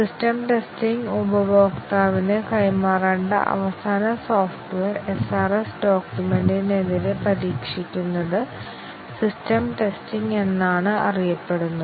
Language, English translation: Malayalam, Whereas the system testing, where the final software that is to be delivered to the customer is tested against the SRS document is known as system testing